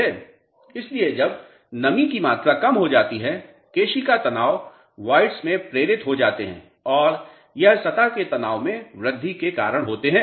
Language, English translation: Hindi, So, as moisture content decreases, capillarity stresses get induced in the voids and it is because of the increased surface tension